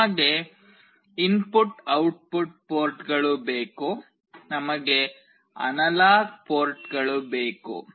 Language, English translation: Kannada, We need input output ports; we also need analog ports